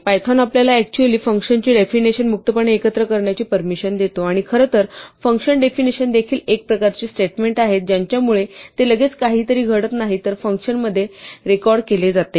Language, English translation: Marathi, So, python actually allows you to freely mix function definitions and statements, and in fact, function definitions are also statements of a kind its just they do not result in something immediately happening, but rather in the function been remembered